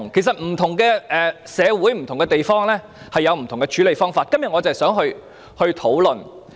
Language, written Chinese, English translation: Cantonese, 不同社會和地方有不同處理方法，我今天正是想就此進行討論。, Different methods are used in different societies and places to deal with the matter and this is exactly what I wish to discuss today